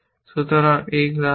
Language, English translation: Bengali, So, this is the state